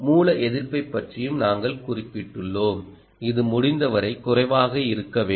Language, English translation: Tamil, and we also mentioned about source resistance, which is which has to be as low as possible, ah